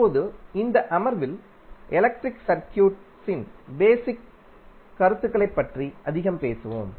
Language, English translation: Tamil, Now, in this session we will talk more about the basic concepts of electric circuits